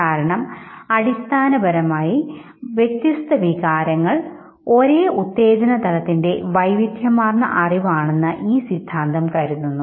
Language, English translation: Malayalam, And therefore this theory basically considers different emotions as diverse cognition of the same arousal